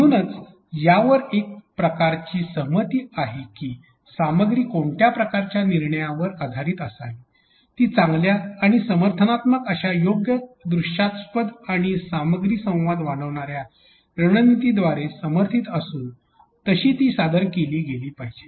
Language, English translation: Marathi, Therefore, it is kind of agreed upon that content should be governing the decision of what way, it should be presented which should be supported by good and supportive appropriate visual and a strategy which will enhance the content communication